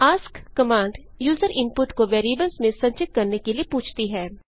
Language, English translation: Hindi, ask command asks for user input to be stored in variables